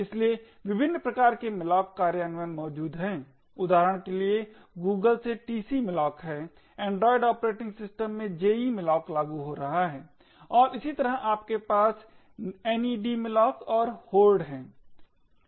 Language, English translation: Hindi, So there are a different variety of malloc implementations that are present, the tcmalloc for example is from Google, jemalloc is implementing in android operating systems and similarly you have nedmalloc and Hoard